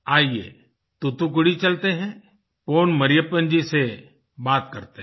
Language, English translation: Hindi, Come lets go to Thoothukudi …lets talk to Pon Mariyyapan ji